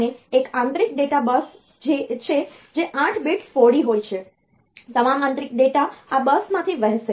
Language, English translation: Gujarati, And there is an internal data bus which is 8 bit wide; so all the data that are flowing through the internal internally through the processor